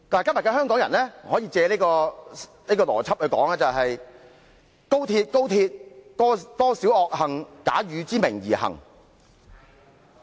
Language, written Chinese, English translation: Cantonese, "今天的香港人可以把這句名言改成："高鐵，高鐵，多少罪惡假汝之名而行！, Today Hong Kong people can change the sentence into this Oh XRL! . XRL! . What crimes are committed in thy name!